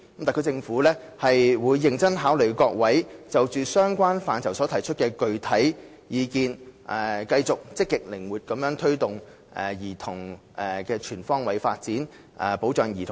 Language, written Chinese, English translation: Cantonese, 特區政府會認真考慮各位議員就相關範疇所提出的具體意見，並繼續積極靈活地推動兒童的全方位發展，保障兒童的福祉。, The SAR Government will seriously consider the specific views expressed by Members on the relevant respects while also continuing to actively and flexibly foster childrens development on all fronts and safeguard their welfare